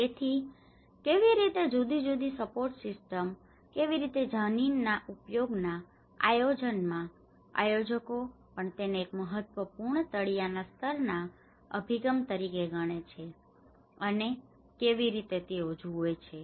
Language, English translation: Gujarati, So, how different support systems, how at a land use planning how a planners also considered this as one of the important bottom level approach and how they look at it